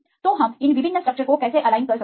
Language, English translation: Hindi, So, we how can align these different structures